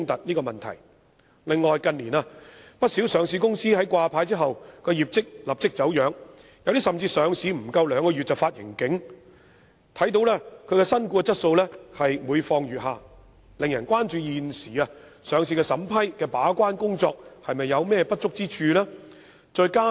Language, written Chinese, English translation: Cantonese, 此外，不少上市公司近年在掛牌後業績便立即走樣，有些甚至在上市不足兩個月便發出盈警，顯示新股質素每況愈下，令人關注現時上市審批的把關工作是否有不足之處。, And in recent years the performance of many listed companies has declined right after listing and some have even issued profit warnings less than two months after listing . This shows that the quality of newly listed stocks is on the decline and has aroused public concern about any gatekeeping inadequacy in the existing process of vetting and approving listing applications